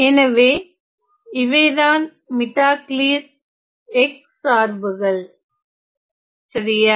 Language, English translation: Tamil, So, these are the Mittag Leffler x functions ok